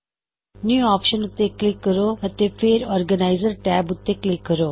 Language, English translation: Punjabi, Click on the New option and then click on the Organiser tab